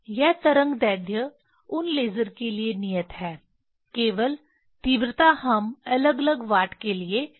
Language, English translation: Hindi, This wavelength are fixed for those laser; only intensity we can vary for different watt